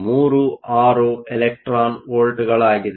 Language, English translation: Kannada, 36 electron volts